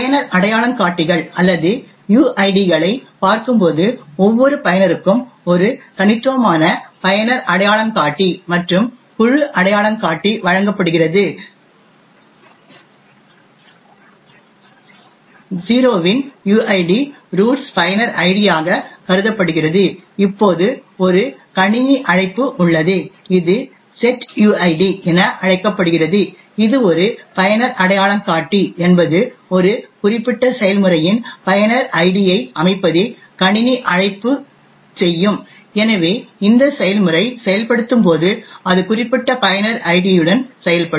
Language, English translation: Tamil, Will the look at the user identifiers or uids, each user is given a unique user identifier and a group identifier, a uid of 0 is considered as the roots user id, now there is a system call known as the setuid which is passed as a user identifier is essentially what the system call would do is to set the user id of a particular process, so therefore when this process executes it will execute with the specified user id